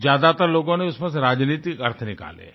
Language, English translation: Hindi, Most people have derived political conclusions out of that